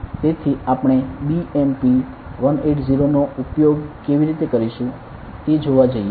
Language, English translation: Gujarati, So, we are going to see how we are going to use the BMP180